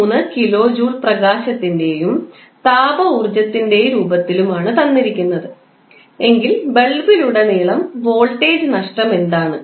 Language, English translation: Malayalam, 3 kilo joule is given in the form of light and heat energy what is the voltage drop across the bulb